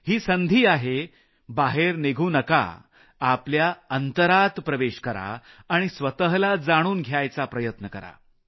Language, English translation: Marathi, This is your chance, don't go out, but go inside, try to know yourself